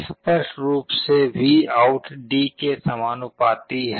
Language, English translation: Hindi, Clearly, VOUT is proportional to D